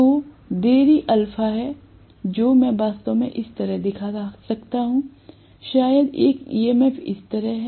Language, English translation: Hindi, So I am going to have these delay alpha which I can actually show it somewhat like this, maybe one EMF is like this